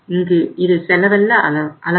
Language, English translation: Tamil, This is the cost